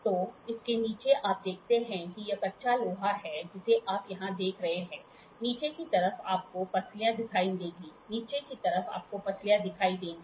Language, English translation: Hindi, So, on the bottom side of it you see this is cast iron you see here you on the bottom side you will see the ribs, on the bottom side; on the bottom side you will see ribs